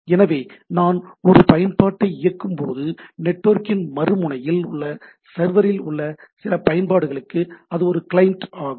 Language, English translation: Tamil, So, when I run an application it is a client, to some application at the server, at the other end of the network